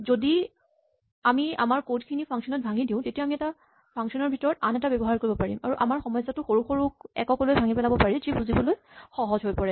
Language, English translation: Assamese, This is another illustration of the fact that if we break up our code into functions then we can use functions one inside the other, and break up our problem into smaller units which are easier to digest and to understand